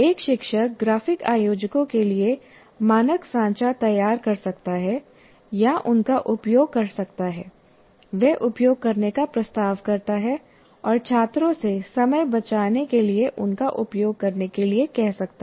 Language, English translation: Hindi, A teacher can generate or make use of standard templates for the graphic organizers he proposes to use and ask the students to use them to save time